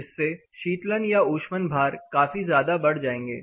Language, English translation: Hindi, So, in that case your cooling load or heating load will considerably go up